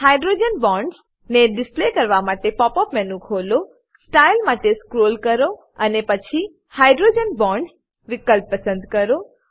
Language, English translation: Gujarati, To display hydrogen bonds: Open the pop up menu and scroll down to Style and then to Hydrogen Bonds option